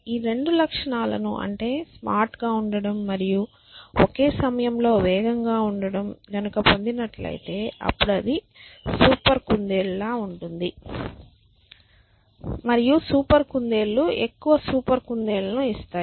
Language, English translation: Telugu, Both these properties of being smart and being fast at the same time which means it will be like a super rabbit essentially right and super rabbits will give rise to more super rabbits so on